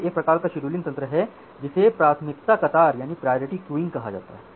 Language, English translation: Hindi, So, this is one type of scheduling mechanism which is called priority queuing